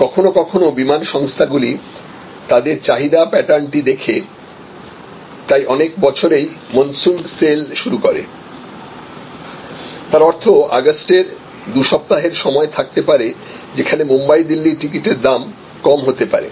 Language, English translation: Bengali, Sometimes airlines looking at their demand pattern, so like many time you have monsoon sale; that means, there may be a two weeks period in August, where the Bombay Delhi price may be slashed